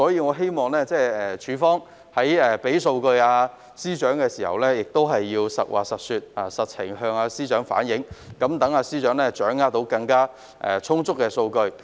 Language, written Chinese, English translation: Cantonese, 我希望署方在向司長提供數據時，能夠反映實情，以便司長掌握充分的數據。, I hope the relevant department will provide FS with data that can reflect the actual situation so that he can have sufficient data in hand